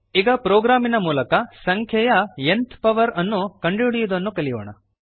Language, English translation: Kannada, Lets now learn to find nth power of a number through a program